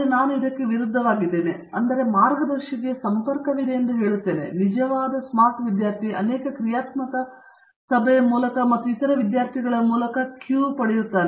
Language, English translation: Kannada, I am against that, I would say there would be contact with the guide yes, and the real smart student is one who will get the queue through many casual meeting and also with the meetings of other students